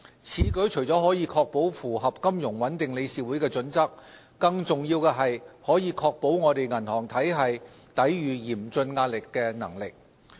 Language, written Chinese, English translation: Cantonese, 此舉除了可確保符合金融穩定理事會的準則，更重要的是可確保我們銀行體系抵禦嚴峻壓力的能力。, This will ensure compliance with the relevant FSB standards and more importantly the resilience of our banking system to cope with severe stress